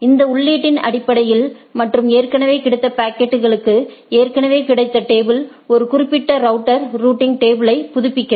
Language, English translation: Tamil, Based on this input and that already packet available to it already the table available to it the a particular router updates the routing table